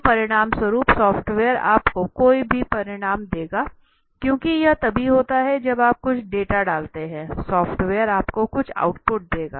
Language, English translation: Hindi, So as a result the software will give you any result, because it is only when you put in some data, the software will give you some output